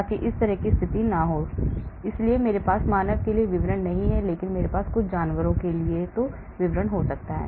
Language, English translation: Hindi, so that sort of situation can happen, so I do not have the details for human, but I may have for some animals